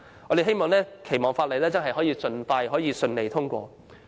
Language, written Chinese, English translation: Cantonese, 我們期望《條例草案》能夠盡快順利通過。, We hope that the Bill can be passed smoothly as soon as possible